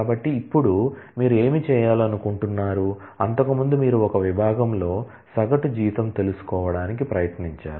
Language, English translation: Telugu, So now, what do you want to do is earlier you try to find out the average salary in one department